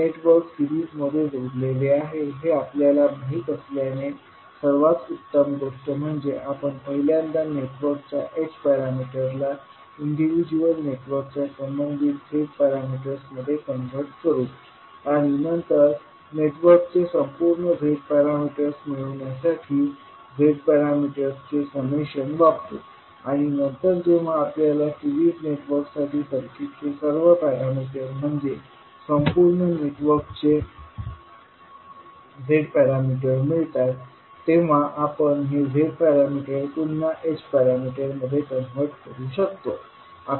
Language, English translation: Marathi, Since we know that the networks are connected in series, the best thing is that let us first convert the H parameters into corresponding Z parameters of individual networks and then use the summation of the Z parameters to get the overall Z parameters of the network and then when we get all the parameters of the circuit for a series network that is the Z parameter of the overall network, we can convert this Z parameter again back into H parameter